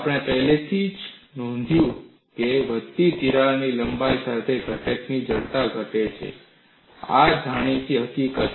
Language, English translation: Gujarati, We have already noted stiffness of the component decreases with increasing crack length; this is the known fact